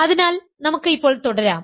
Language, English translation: Malayalam, so let us now continue